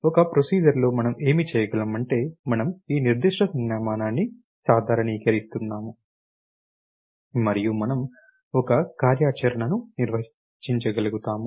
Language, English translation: Telugu, What we can do in a procedure is that, we are generalizing this particular notation and we are able to define our one operations